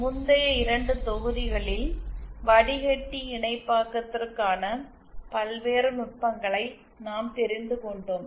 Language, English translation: Tamil, In the previous 2 modules we had covered the various techniques for filter synthesis